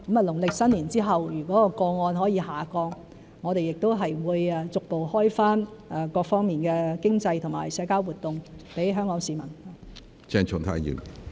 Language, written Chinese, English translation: Cantonese, 農曆新年後如果個案下降，我們亦會逐步開放各方面的經濟和社交活動給香港市民。, If the number of cases reduced after the Chinese New Year we will gradually open up various economic and social activities to the people of Hong Kong